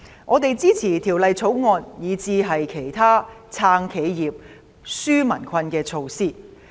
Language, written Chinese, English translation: Cantonese, 我們支持《條例草案》，以至其他"撐企業、紓民困"的措施。, We support the Bill as well as the other measures proposed to support enterprises safeguard jobs and relieve peoples burden